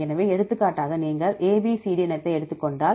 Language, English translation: Tamil, So, for example, if you take the species ABCD